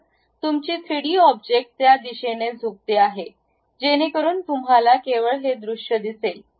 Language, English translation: Marathi, So, your 3D object tilts in that direction, so that you will see only this view